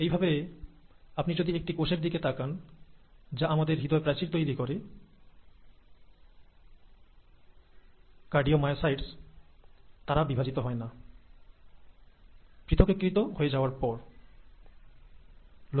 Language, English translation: Bengali, Similarly, if you look at the cells which form the walls of our heart, the cardiomyocytes, they do not divide after they have differentiated